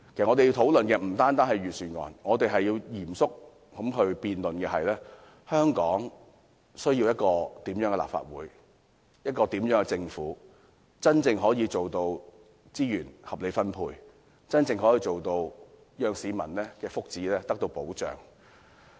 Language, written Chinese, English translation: Cantonese, 我們要討論的不單是預算案，還要嚴肅辯論的是，香港需要一個怎麼樣的立法會、政府，才能夠真正做到資源合理分配，讓市民的福祉得到保障？, Most importantly what we need to discuss very seriously is not only this Budget but also the kind of legislature and government which Hong Kong needs if we are to distribute resources reasonably to protect the well - being of the public